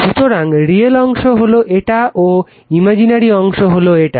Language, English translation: Bengali, So, real part is here and imaginary part is here right